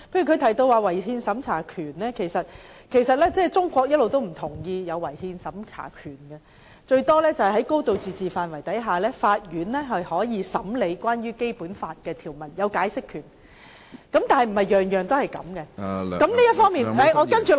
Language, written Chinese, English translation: Cantonese, 她提及違憲審查權，但其實中國一直不同意有違憲審查權，頂多是在"高度自治"的範圍下，法院具有審理有關的《基本法》條文時的解釋權，但並非凡事皆可如此處理......, She has mentioned in her question the power to inquire into the constitutionality of laws but China has in fact all along denied the existence of such a power . Hong Kong courts can at most exercise its power to interpret in adjudicating cases the provisions of the Basic Law within the limits of a high degree of autonomy but not every case can be handled in this way